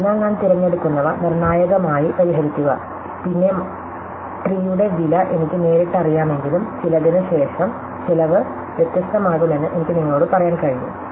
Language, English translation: Malayalam, So, the deterministically fixed by which one I choose, then even though I do know the cost of the trees directly, I can tell you that the cost is going to be different by this amount